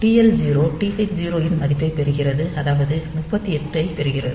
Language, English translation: Tamil, So, this is done implicitly this TH0 TL0 getting the value of TH0 get 38 h